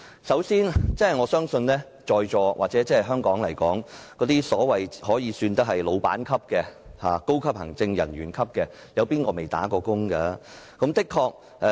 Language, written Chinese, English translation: Cantonese, 首先，我相信在座各位，或在香港算得上是僱主級別或高級行政人員級別的人士，誰沒做過"打工仔"呢？, First of all I believe the Honourable colleagues present or people who can be classified as employers or senior executives in Hong Kong have all been wage earners before have they not?